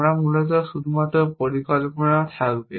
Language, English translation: Bengali, We will have only plans essentially